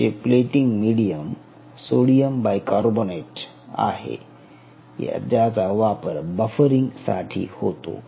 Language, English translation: Marathi, and your plating medium has sodium bicarbonate, which is used for the buffering